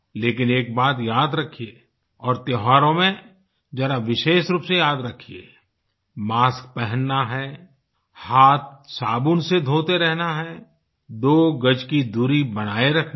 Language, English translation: Hindi, However, do remember and more so during the festivals wear your masks, keep washing your hands with soap and maintain two yards of social distance